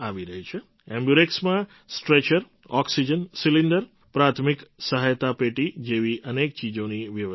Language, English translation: Gujarati, An AmbuRx is equipped with a Stretcher, Oxygen Cylinder, First Aid Box and other things